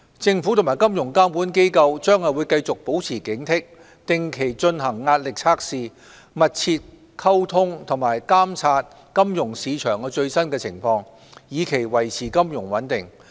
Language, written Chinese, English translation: Cantonese, 政府和金融監管機構將繼續保持警惕，定期進行壓力測試，保持密切溝通並監察金融市場最新情況，以期維持金融穩定。, The Government and financial regulators will stay vigilant conduct stress tests regularly communicate closely and monitor the latest situation of the financial market with a view to ensuring financial stability